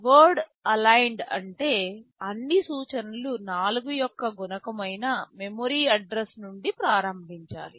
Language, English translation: Telugu, Word aligned means all instructions must start from a memory address that is some multiple of 4